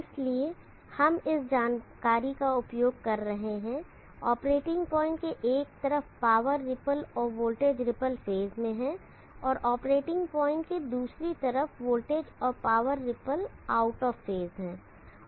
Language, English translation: Hindi, So we would be using this information on one side of the operating point the power ripple and the voltage ripple are in phase, the other side of the operating point the voltage and the power ripples are out of phase